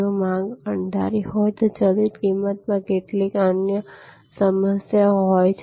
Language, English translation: Gujarati, If the demand is unpredictable, then variable pricing has certain other problems